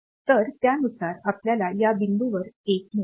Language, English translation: Marathi, So, accordingly you will get a one at these point